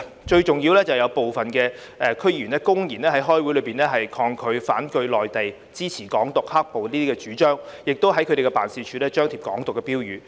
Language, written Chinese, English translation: Cantonese, 最重要是有部分區議員公然在開會時發表反對內地、支持"港獨"、"黑暴"的主張，亦在他們的辦事處張貼"港獨"標語。, Most importantly some DC members have blatantly expressed their opposition to the Mainland and support for the advocacy of Hong Kong independence and violence in their meetings and have posted Hong Kong independence slogans in their offices